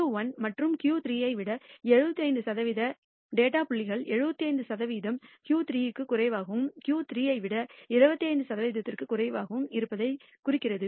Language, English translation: Tamil, 75 percent above Q 1 and Q 3 implies that 75 percent of the data points fall below Q 3 and 25 percent above Q 3